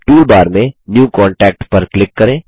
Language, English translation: Hindi, In the toolbar, click New Contact